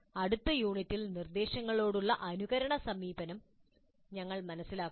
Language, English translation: Malayalam, And in the next unit we understand simulation approach to instruction